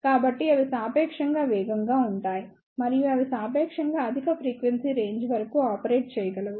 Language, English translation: Telugu, So, they are relatively faster and they can operator up to relatively high frequency range